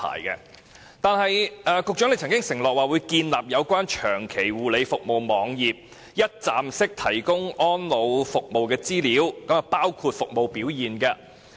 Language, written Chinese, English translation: Cantonese, 此外，局長曾經承諾，會建立有關長期護理服務網頁，一站式提供安老服務的資料，包括服務表現。, Besides the Secretary has also undertaken to set up a website on long - term care services in order to provide a one - stop portal for elderly services information including service performance